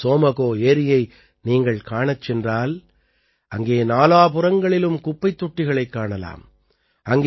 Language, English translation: Tamil, Today, if you go to see the Tsomgolake, you will find huge garbage bins all around there